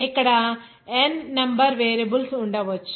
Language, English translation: Telugu, There may be n number of variables will there